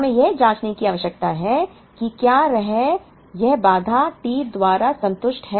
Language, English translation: Hindi, We need to check whether this constraint is satisfied by the T